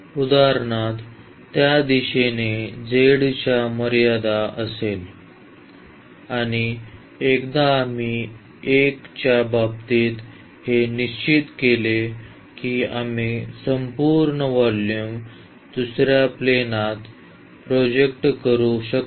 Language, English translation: Marathi, So, that will be the limit for this direction the z for instance and once we fix this with respect to 1 we can project the whole volume to the other plane